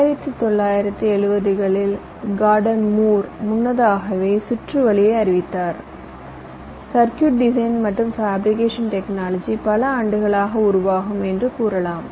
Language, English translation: Tamil, gordon moore in the nineteen seventies, even earlier then, that he predicted the way the circuit, you can say the circuit design and fabrication technology, would evolve over the years